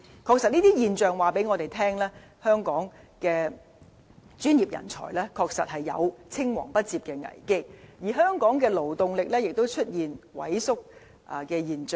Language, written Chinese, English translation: Cantonese, 確實，這些現象告訴我們，香港的專業人才有青黃不接的危機，而香港的勞動力亦出現萎縮。, Indeed these phenomena reflect a concern about succession in professional sectors and Hong Kongs workforce is also diminishing